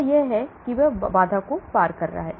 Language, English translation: Hindi, That is it is crossing the barrier